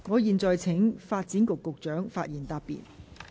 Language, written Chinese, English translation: Cantonese, 我現在請發展局局長發言答辯。, I now call upon the Secretary for Development to reply